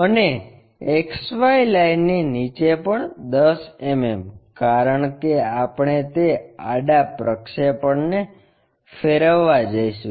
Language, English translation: Gujarati, And, 10 mm below XY line also because we are going to rotate that horizontal projection